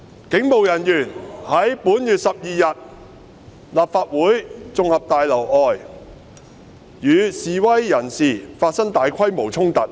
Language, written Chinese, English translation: Cantonese, 警務人員於本月12日在立法會大樓外與示威人士發生大規模衝突。, On the 12 of this month a large - scale confrontation between police officers and demonstrators occurred outside the Legislative Council Complex